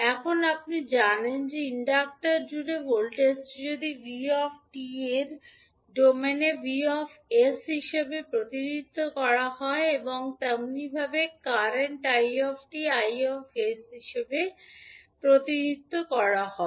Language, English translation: Bengali, Now, you know that if the voltage across inductor is v at ant time t it will be represented as v in s domain and similarly, current It will be represented as i s